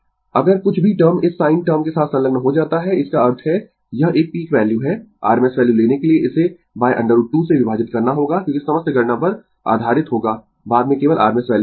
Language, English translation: Hindi, If anything term attached with this sin term; that means, this is a peak value, you have to divided it by root 2 to take the rms value, because on all our calculations will be based on later we will see only on rms value, right